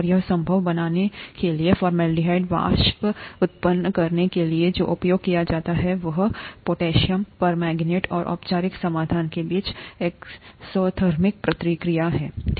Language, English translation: Hindi, And to make that possible, to generate formaldehyde vapors, what is used is the exothermic reaction between potassium permanganate, and the formalin solution